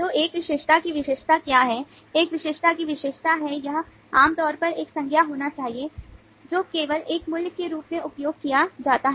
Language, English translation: Hindi, the characteristic of an attribute is it should typically be a noun which is used only as a value